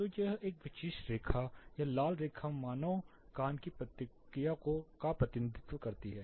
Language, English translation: Hindi, So this particular line this red line represents the response of human ear